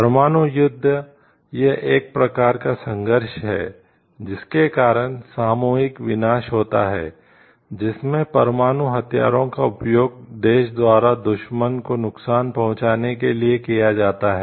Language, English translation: Hindi, Nuclear warfare it is a type of conflict form of conflict, which is leading to mass destruction in which nuclear weapons are used by the country to inflict damage on the enemy